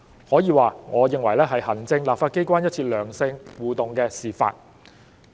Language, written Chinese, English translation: Cantonese, 可以說，我認為這是行政立法機關一次良性互動的示範。, It can be said that in my view this is a demonstration of constructive interaction between the executive authorities and the legislature